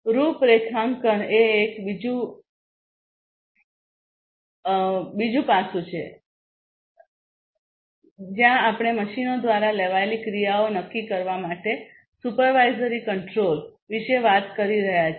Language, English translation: Gujarati, Configuration is the other one where we are talking about supervisory control to determine actions to be taken by the machines themselves